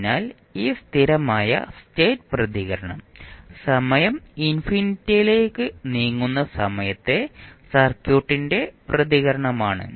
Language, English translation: Malayalam, So, now this steady state response is the response of the circuit at the time when time t tends to infinity